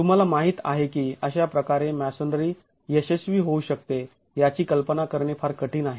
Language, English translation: Marathi, It's very difficult to imagine that masonry can fail in this manner